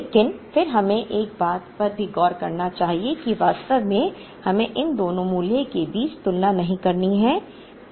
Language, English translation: Hindi, But, then we also have to look at one thing we should not actually make a comparison between these two values